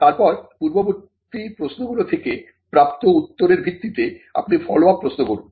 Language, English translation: Bengali, And then you have follow up questions based on the answer you received from the earlier questions